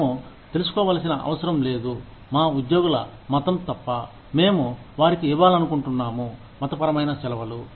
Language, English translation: Telugu, We do not need to know, the religion of our employees, unless, we intend to give them, religious holidays